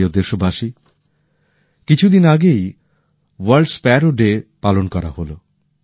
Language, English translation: Bengali, My dear countrymen, World Sparrow Day was celebrated just a few days ago